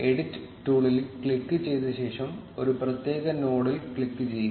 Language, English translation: Malayalam, Click on the edit tool and then click on a specific node